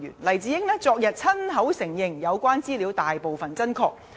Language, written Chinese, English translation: Cantonese, 黎智英昨親口承認有關資料大部分真確。, Yesterday Jimmy LAI admitted that the information was largely accurate